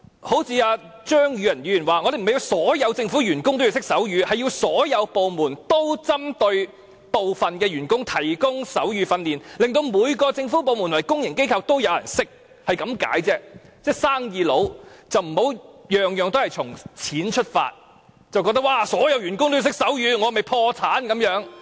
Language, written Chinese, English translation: Cantonese, 對於張宇人議員的意見，我們並不是要求所有政府員工懂得手語，而是所有部門也應向部分員工提供手語訓練，令每個政府部門和公營機構也有人懂得手語，只是這個意思而已，請他們這些生意人不要事事從錢出發，覺得如果所有員工也要懂得手語，豈非要破產？, As regards Mr Tommy CHEUNGs views we are not requiring that every staff member of the Government should know sign language . We only mean to suggest that all government departments should provide sign language training to certain staff so that there will have some staff in every government department and public organization who can communicate in sign language . I would ask these businessmen not to judge everything from the monetary angle or to think that they will go bankrupt when all their staff also have to know sign language